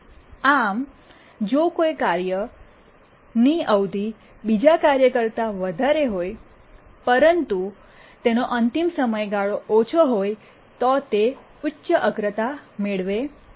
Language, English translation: Gujarati, So even if a task has higher period than another task but it has a lower deadline then that gets higher priority